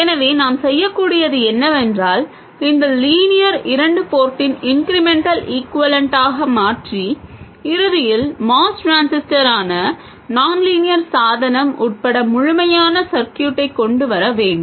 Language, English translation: Tamil, So, what we need to do is to replace this with the incremental equivalent of the nonlinear 2 port and eventually come up with the complete circuit including the nonlinear device which is the MOS transistor